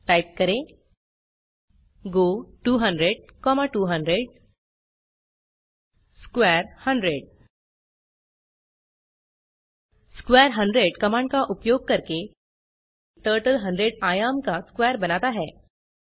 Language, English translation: Hindi, Lets type go 200,200 square 100 Using the command square 100 Turtle draws a square of dimension 100